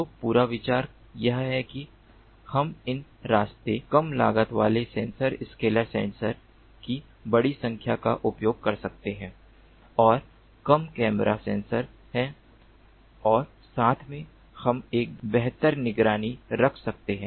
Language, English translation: Hindi, so the whole idea is: can we use large number of these inexpensive, cheap, low cost sensor scalar sensors and have a fewer camera sensors and together we can we have a better surveillance